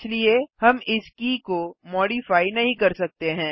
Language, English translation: Hindi, Hence, we cannot modify this key